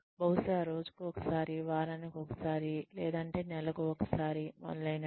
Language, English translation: Telugu, Maybe once a day, maybe once a week, maybe once a month, etcetera